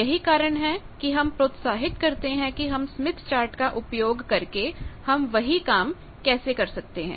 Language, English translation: Hindi, That is why we encourage that the same thing let us see, how we can do by Smith Chart